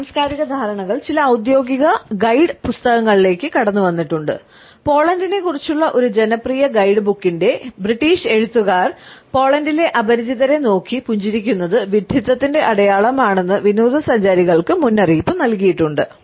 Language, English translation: Malayalam, These cultural differences of understanding have seeped into some official guide books and British authors of a popular guidebook about Poland have warn tourists that is smiling at strangers in Poland is perceived is a sign of stupidity